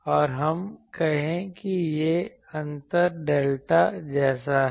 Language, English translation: Hindi, And let us say this gap is something like delta let me call